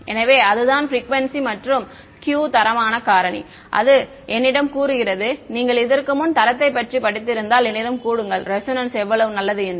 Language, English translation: Tamil, So, that is the frequency and the Q the quality factor right that tells me if you have studied this before the quality tells me how good the resonance is